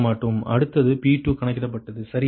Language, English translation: Tamil, right next is p two calculated, right